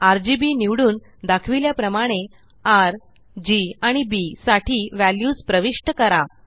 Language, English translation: Marathi, Then, select RGB and enter the values for R, G and B as shown